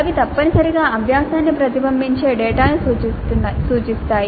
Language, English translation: Telugu, They indicate data which essentially reflects the learning